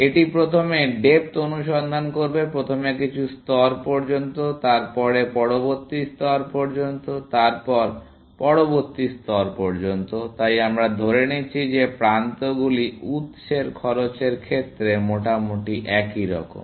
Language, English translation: Bengali, So, it would first do depth first search up to some level, then up to some next level, then up to next level; so we are assuming that edges are sort of roughly similar in cost in source